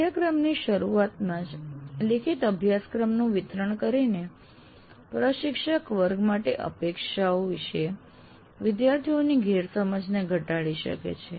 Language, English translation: Gujarati, And by distributing a written syllabus at the beginning of the course, the instructor can minimize student misunderstandings about expectation for the class